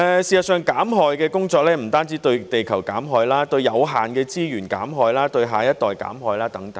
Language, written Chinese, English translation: Cantonese, 事實上，減害的工作不單對地球減害，還包括對有限的資源減害，對下一代減害等。, In fact harm reduction refers not only to reducing harm to the earth but also reducing harm to the limited resources and to the next generation